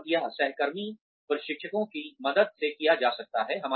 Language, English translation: Hindi, And, this can be done, with the help of peer trainers